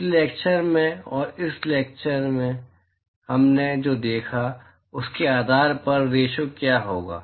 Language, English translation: Hindi, Based on what we have seen in the last lecture and before, be the ratio of